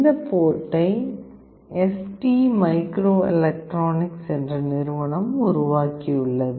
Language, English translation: Tamil, This board is developed by a company called ST microelectronics